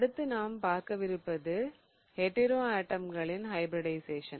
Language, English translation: Tamil, Now, one thing to think about is also the hybridization of hetero atoms